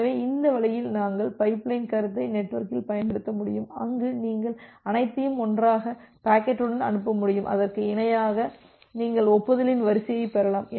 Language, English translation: Tamil, So, that way we will be able to use this pipeline concept over the network where you could be able to send a sequence of packets all together and parallely you can receive a sequence of acknowledgement